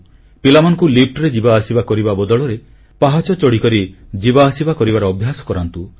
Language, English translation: Odia, The children can be made to take the stairs instead of taking the lift